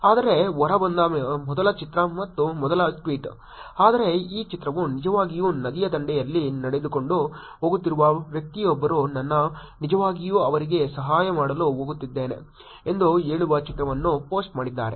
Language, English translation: Kannada, But the first picture and the first tweet that came out, but this picture was actually a person walking on the riverside posting a picture saying that ‘I am going to actually go help them